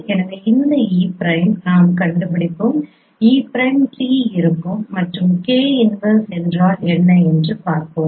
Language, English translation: Tamil, So this e prime we will find out e prime will be t and let us see what is k inverse